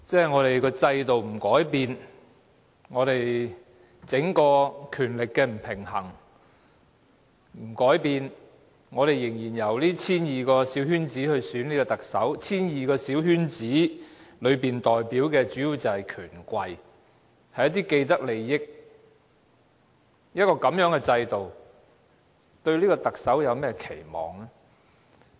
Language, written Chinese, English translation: Cantonese, 我們的制度不改變，整個權力的不平衡不改變，仍然由 1,200 個小圈子成員選特首 ——1,200 個小圈子成員當中代表的主要是權貴，一些既得利益者，在這樣的制度下，我們對特首有何期望呢？, If our system does not change if the imbalance of power as a whole does not change and the Chief Executive is still to be elected by a small circle of 1 200 members―most of the 1 200 members in this small circle are the influential people and those with vested interests what do we expect from the Chief Executive under such a system?